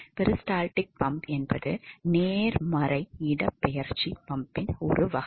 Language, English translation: Tamil, So, peristaltic pump is type of a positive displacement pump